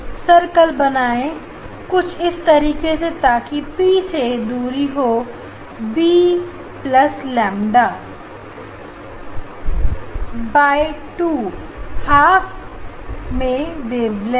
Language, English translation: Hindi, then distance of the circle is from P is b plus lambda by 2 half wavelength more